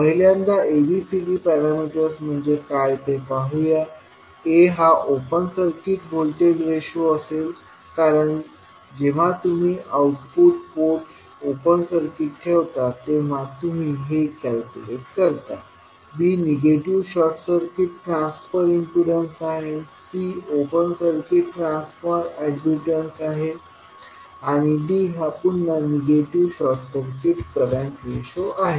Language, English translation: Marathi, First let us see what ABCD defines; A will be your open circuit voltage ratio because this you calculate when you keep output port as open circuit, B is negative short circuit transfer impedance, C is open circuit transfer admittance and D is again negative short circuit current ratio